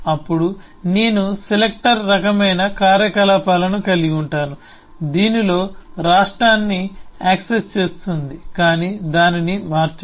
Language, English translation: Telugu, then I could have the selector kind of operations, which in which accesses the state but does not change